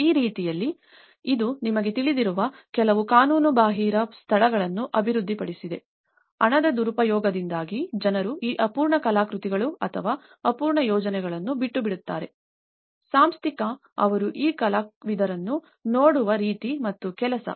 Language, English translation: Kannada, And that way, it has also developed some kind of illegal spaces you know, that people just leftover these unfinished artworks or unfinished projects like that because of there was a funding mismanagement, there is the institutional, the way they looked at the these artists and the work